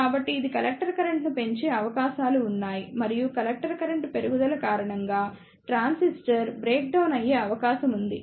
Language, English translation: Telugu, So, there are chances that it may increase the collector current and they could be a case that because of the increase in collector current the transistor may breakdown